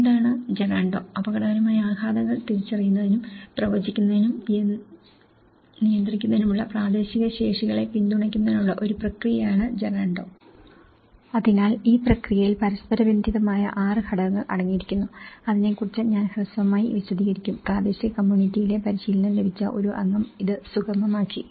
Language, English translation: Malayalam, What is Gerando; Gerando is a process for supporting local capacities to identify, predict, manage hazard impacts, so this process consists of 6 interrelated stages which I will explain briefly about it and which has been facilitated by a trained member of the local community